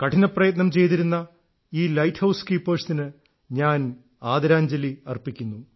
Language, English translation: Malayalam, I pay respectful homage to these hard workinglight keepers of ours and have high regard for their work